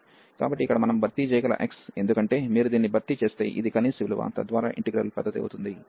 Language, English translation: Telugu, So, here the x we can replace, because this is the minimum value if you replace this one, so that the integral will be the larger one